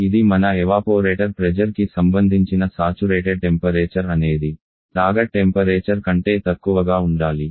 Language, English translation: Telugu, Which is nothing but the saturation temperature corresponding to your evaporator pressure has to be lower than the target temperature